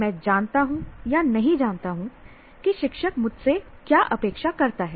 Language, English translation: Hindi, I know, do not know what the teacher expects me to learn